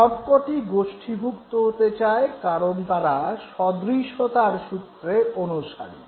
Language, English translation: Bengali, All of them they tend to group together because they follow the law of similarity